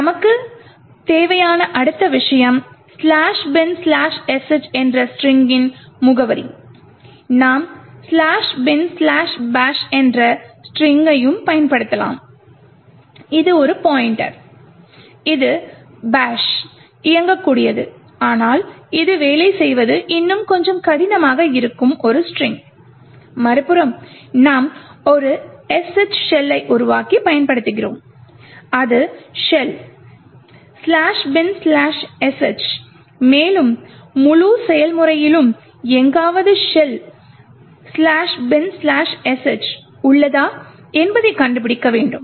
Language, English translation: Tamil, okay the next thing we need is the address of the string /bin/sh, we could also use the string/bin/bash which is a pointer, which is a string comprising of the bash executable but making it work that we would be a little more difficult, on the other hand we actually use and create a SH shell that is /bin/sh and we need to find somewhere in the entire process, where /bin/sh is present, so we do is we try to search in the various paths of this process memory